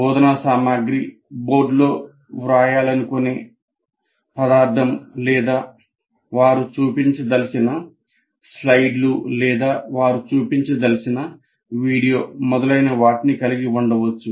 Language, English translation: Telugu, Instruction material may consist of the material that instructor wants to write on the board or the slides they want to project or video they want to show, whatever it is